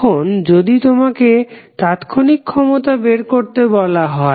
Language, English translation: Bengali, Now, if you are asked to find the instantaneous power